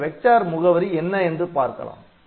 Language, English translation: Tamil, So, we will see what is this vector address ok